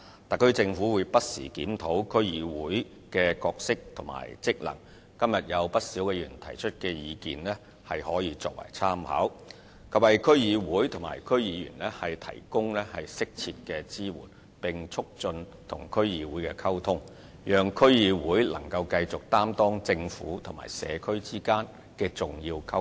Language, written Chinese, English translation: Cantonese, 特區政府會不時檢討區議會的角色和職能，今日有不少議員提出的意見可以作為參考，以及為區議會及區議員提供適切支援，並促進與區議會的溝通，讓區議會繼續擔當政府與社區之間的重要溝通橋樑。, The SAR Government will review the role and functions of DCs from time to time . The views put forward by quite a number of Members today can serve as reference providing appropriate support to DCs and DC members and promoting communication with DCs thereby enabling DCs to continue to serve as an essential channel of communication between the Government and communities